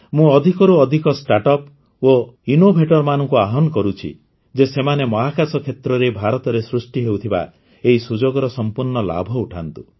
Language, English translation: Odia, I would urge more and more Startups and Innovators to take full advantage of these huge opportunities being created in India in the space sector